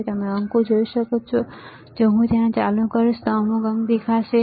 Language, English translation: Gujarati, You can see digit, you if I turn it on you will see some digit, right